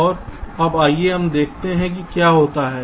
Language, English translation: Hindi, so now let us see what happens